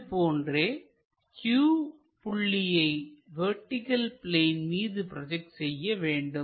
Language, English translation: Tamil, First, we have to project this point p to vertical plane